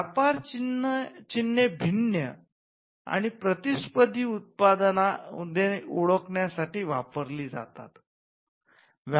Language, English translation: Marathi, So, trade names are used to distinguish and to identify competing products